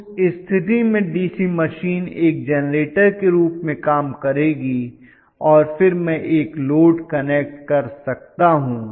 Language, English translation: Hindi, In that case DC machine will work as a generator and then I can connect a load